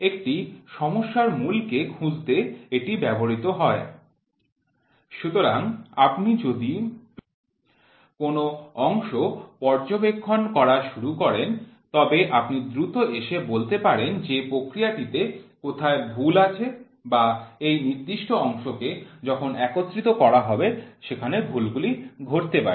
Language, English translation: Bengali, To produce the means finding a proper problem areas; so, if you start inspecting a part then you can quickly come and say where is the process mistake or in this particular part when it is assembled where can the mistakes happen